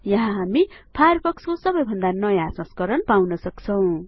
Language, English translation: Nepali, Here, we can always find the latest version of Firefox